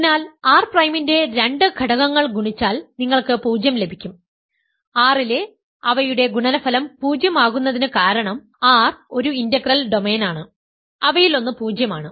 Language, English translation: Malayalam, So, if two elements of R prime are multiplied you get 0, then their product in R is 0 because R is an integral domain one of them is zero